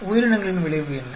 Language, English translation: Tamil, What is the effect of organisms